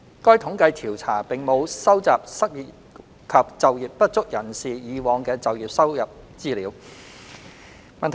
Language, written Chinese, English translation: Cantonese, 該統計調查並無收集失業及就業不足人士以往的就業收入資料。, The survey does not collect information on the previous employment earnings of unemployed and underemployed persons